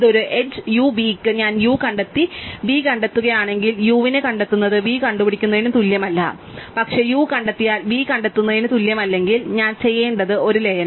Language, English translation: Malayalam, This is the same as saying that if I do find of u and find of v for an edge u v, right, find of u is not equal to find of v and if find of u is not equal to find of v, then I need to do a merge